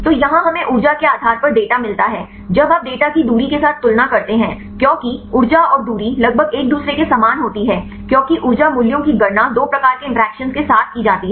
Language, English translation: Hindi, So, here we get the data based on the energy; when you compare the data with the distance because energy and distance are almost similar to each other because energy values are computed with two types of interactions